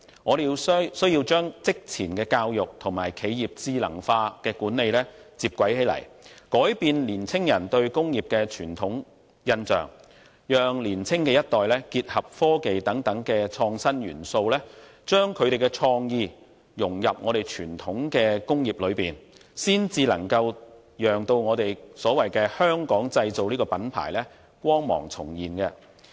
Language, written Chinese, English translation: Cantonese, 我們需要將職前教育與企業智能化的管理接軌，改變青年人對工業的傳統印象，讓年青一代結合科技等創新元素，將他們的創意融入傳統工業當中，才能讓"香港製造"的品牌光芒重現。, We need to integrate pre - vocational training and the intelligent management of enterprises so as to change young peoples longstanding impression about industry . The younger generation is encouraged to introduce innovative elements such as technology with a view to embodying their creativity in the traditional industries . Hence the brand of Made in Hong Kong can shine again